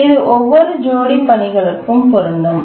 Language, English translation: Tamil, And that holds for every task in the task set